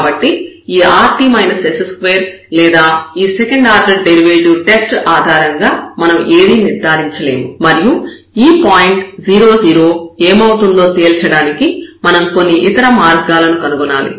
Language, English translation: Telugu, So, we cannot conclude anything based on this rt minus s square or the second order derivative test and we have to find some other ways to conclude if we can that what is this point 0 0